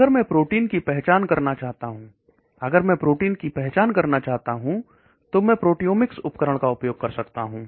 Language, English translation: Hindi, If I want to identify the protein, if I want to identify the protein, then I may use proteomics tools